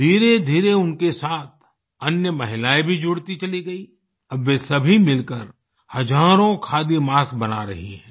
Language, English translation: Hindi, Gradualy more and more women started joining her and now together they are producing thousands of khadi masks